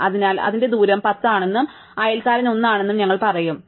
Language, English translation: Malayalam, So, we will say is its distance is 10, and its neighbour is 1, right